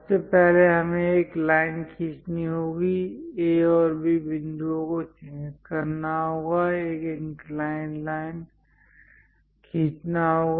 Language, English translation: Hindi, First of all, we have to draw a line, mark A and B points, draw an inclined line